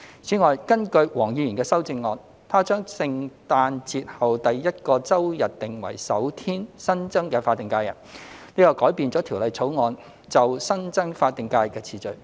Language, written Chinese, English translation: Cantonese, 此外，根據黃議員的修正案，他將聖誕節後第一個周日訂為首天新增的法定假日，這改變了《條例草案》就新增法定假日的次序。, Besides in Mr WONGs amendment he sets the first weekday after Christmas Day as the first additional SH which alters the sequence of the additional SHs as stipulated under the Bill